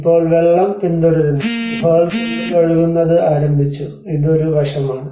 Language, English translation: Malayalam, Now, things are the water is following and the seepage has started within the caves and this is one aspect